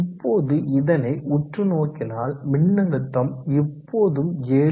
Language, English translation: Tamil, Absorb now that the voltage is still remaining at around 7